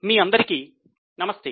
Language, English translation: Telugu, Namaste to all of you